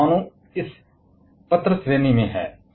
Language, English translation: Hindi, And nuclear is in this letter category